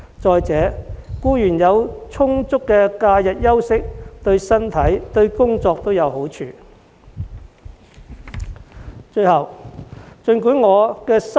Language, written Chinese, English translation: Cantonese, 再者，僱員有充足的假日休息，對身體和工作都有好處。, Moreover the health and work performance of employees will also benefit from getting ample rest during the holidays